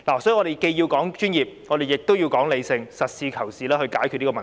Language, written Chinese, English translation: Cantonese, 所以，我們既要說專業，亦要說理性，實事求是地解決這問題。, Therefore while we have to attach importance to professionalism we must be rational too in order to resolve the problem in a pragmatic way